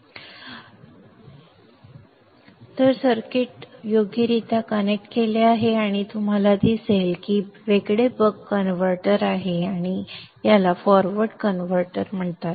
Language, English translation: Marathi, So now I have cleared up the clutter and then connected the circuit properly and you see that this is the isolated buck converter and this is called the forward converter